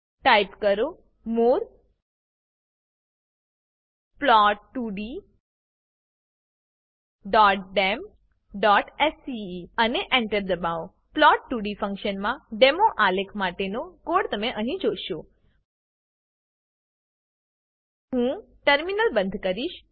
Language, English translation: Gujarati, Type more plot2d.dem.sce and hit enter Here you will see the code for the demo graph of plot2d function I will close the terminal